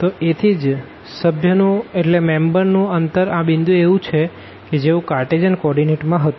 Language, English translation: Gujarati, So, that distance the third member of this point here is the same as this set in the Cartesian coordinate